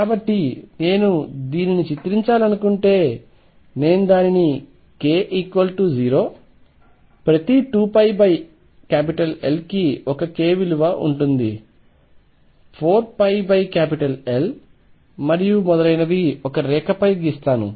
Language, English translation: Telugu, So, if I want to picturize this suppose I draw it on a line this is k equal to 0 every 2 pi over L there is 1 k value 4 pi over L and so on